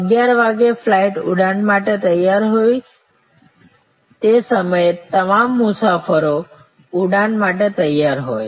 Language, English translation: Gujarati, 11 the flight is ready to board by that time all the plane passengers at there at that point of time